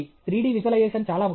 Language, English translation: Telugu, Three D visualizaton is very important